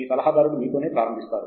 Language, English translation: Telugu, Your advisor starts you off